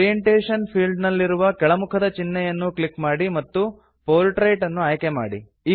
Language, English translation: Kannada, In the Orientation field, click on the drop down list and select Portrait